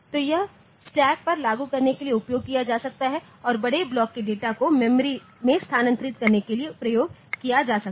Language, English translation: Hindi, So, this is the thing that is it can be utilised for implementing stack and moving large blocks of data around memory